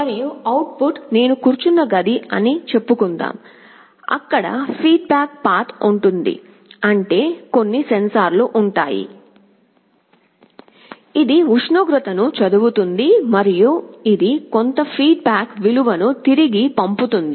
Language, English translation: Telugu, And from the output let us say the room where I am sitting, there will be a feedback path; that means, there will be some sensors, which will be reading the temperature and it will be sending back some feedback value